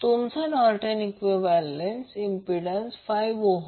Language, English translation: Marathi, Your Norton’s equivalent impedance is 5 ohm